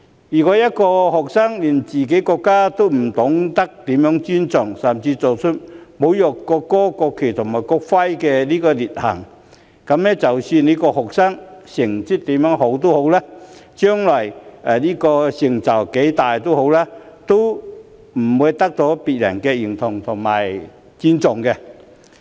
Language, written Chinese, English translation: Cantonese, 如果一個學生連自己國家也不懂得如何尊重，甚至做出侮辱國歌、國旗和國徽的劣行，那麼即使這個學生成績再好，將來成就再大，都不會得到別人的認同和尊重。, If students do not know how to respect their country or even commit malicious acts to desecrate the national anthem national flag and national emblem they will not earn others recognition and respect even if they attain good school results or great achievements in the future